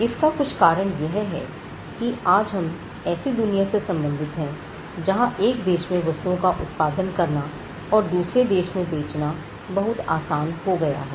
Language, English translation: Hindi, Now, part of this is due to the fact that today we have a connected world where things manufactured from one country can easily be sold in another country